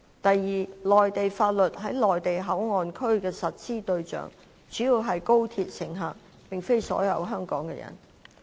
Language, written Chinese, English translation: Cantonese, 第二，內地法律在內地口岸區的實施對象主要是高鐵乘客，並非所有在香港的人。, Second Mainland laws would be mainly applicable to high - speed rail passengers in MPA but not all persons in Hong Kong